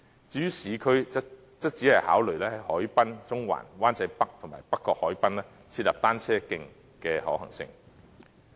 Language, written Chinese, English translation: Cantonese, 至於市區，則只會考慮在海濱、中環、灣仔北及北角海濱設立單車徑的可行性。, As for the urban areas consideration will only be given to the feasibility of designating cycle tracks at the waterfront promenade and in Central Wan Chai North and North Point Harbourfront Area